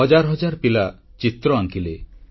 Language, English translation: Odia, Thousands of children made paintings